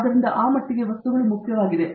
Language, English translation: Kannada, So, to that extent materials are that important